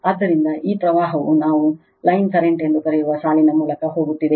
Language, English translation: Kannada, So, this is this current is going through the line we call line current